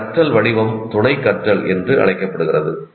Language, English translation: Tamil, This form of learning is called associative learning